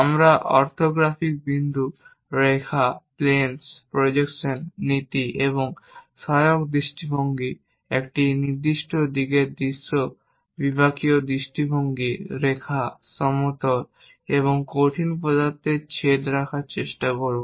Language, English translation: Bengali, And also we will try to look at orthographic points, lines, planes, projections, principle and auxiliary views, views in a given direction, sectional views, intersection of lines, planes and solids